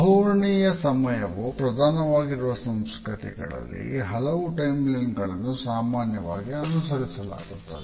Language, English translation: Kannada, In those cultures where a polychronic understanding of time is prevalent, multiple timelines are routinely followed